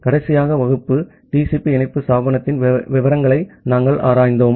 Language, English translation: Tamil, So, in the last class, we have looked into the details of TCP connection establishment